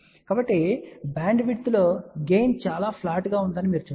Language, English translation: Telugu, So, you can see that over the bandwidth the gain is fairly flat